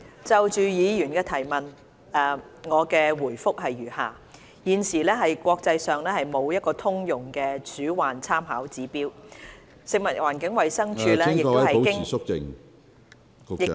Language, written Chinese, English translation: Cantonese, 主席，就議員的質詢，我的答覆如下：一現時國際上沒有通用的鼠患參考指標，食物環境衞生署......, President my reply to the Members question is as follows 1 At present there is no internationally adopted rodent infestation index . The Food and Environmental Hygiene Department FEHD